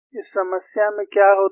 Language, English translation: Hindi, What happens in this problem